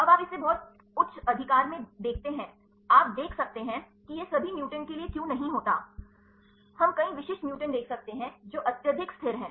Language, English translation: Hindi, Now, you see this very high right you can see why this happens not for all the mutants, we can see several specific mutations, which are highly stabilizing